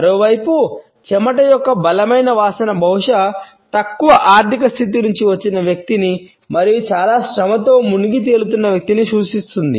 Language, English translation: Telugu, On the other hand, there is strong odor of sweat can indicate a person who is perhaps from a lower financial status and who has to indulge in a lot of manual labor